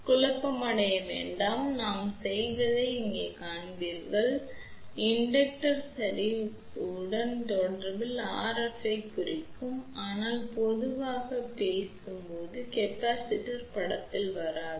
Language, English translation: Tamil, So, do not get confused, later on you will see that we do represent RF in series with inductance ok, but generally speaking capacitance does not come into picture